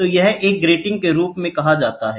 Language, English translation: Hindi, So, this is called as a grating